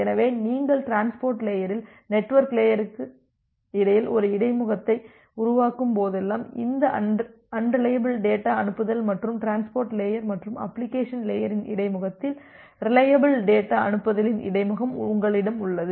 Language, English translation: Tamil, So, whenever you are making a interfacing between the network layer at the transport layer, there you have this unreliable data send and at the interface of transport layer and the application layer, you have the interface of reliable data send